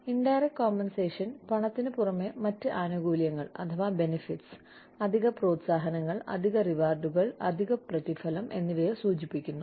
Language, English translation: Malayalam, Indirect compensation refers to, the other benefits, additional incentives, additional rewards, additional remuneration, in addition to cash